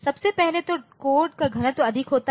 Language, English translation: Hindi, First of all the code density is higher